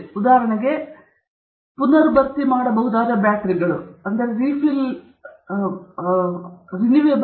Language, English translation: Kannada, So, for example, it could be on, say, rechargeable batteries okay